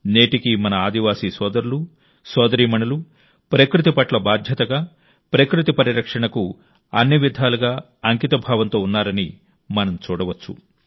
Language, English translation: Telugu, Even today we can say that our tribal brothers and sisters are dedicated in every way to the care and conservation of nature